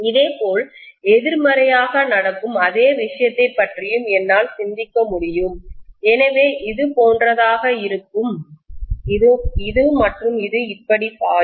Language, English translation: Tamil, Similarly, I can also think of the same thing happening from downside, so it is going to have like this and it is going to flow like this